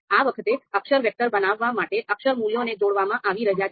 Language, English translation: Gujarati, Now this time, character values are being combined to create a character vector